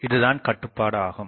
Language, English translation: Tamil, So, that is the restriction